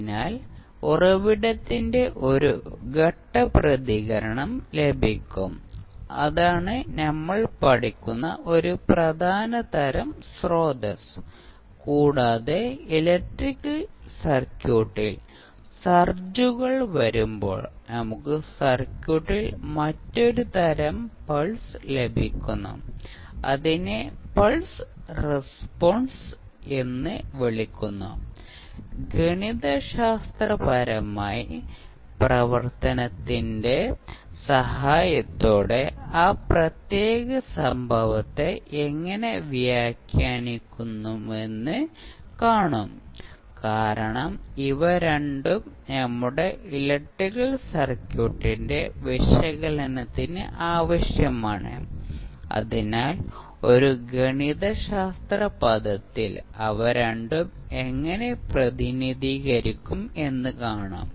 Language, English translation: Malayalam, So, we will get one step response of the source so, that is one important type of source which we will study plus when we have the surges coming in the electrical circuit we get another type of pulse in the circuit, that is called the pulse response so, that also we will see how we will interpret that particular event with the help of mathematical function because these two are required for analysis of our electrical circuit so we will see how we will represent both of them in a mathematical term